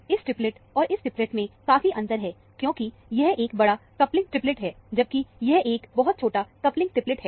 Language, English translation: Hindi, This triplet, and this triplet, is very different, because, this is a large coupling triplet, whereas, this is a very small coupling triplet